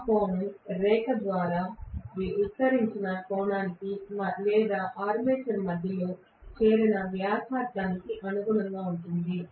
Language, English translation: Telugu, That angle will be corresponding to the angle subtended by the the line or the radius that is joining it to the centre of the armature right